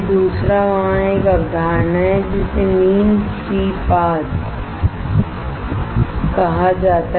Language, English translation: Hindi, Second is there is a concept called mean free path